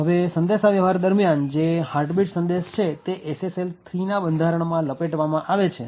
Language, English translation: Gujarati, Now, what happens during the communication is that this particular heartbeat message is wrapped in SSL 3 structure